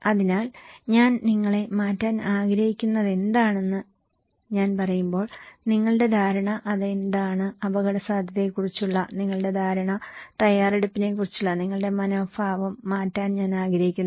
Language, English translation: Malayalam, So, your perception when I say that what I want to change you, what is that, your perception about risk one and also I want to change your attitude about preparedness